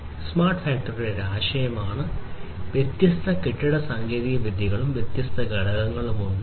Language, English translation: Malayalam, But smart factory is more of a concept there are different building technologies different components of it